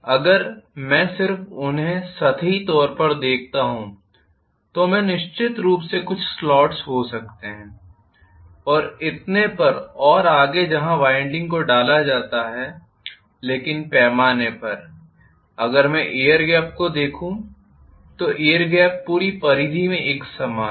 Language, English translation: Hindi, If I just look at them you know superficially so I may have definitely some slots and so on and so forth where the windings are inserted but by and large if I look at the air gap the air gap is completely uniform throughout the circumference